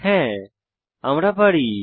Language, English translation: Bengali, Yes, we can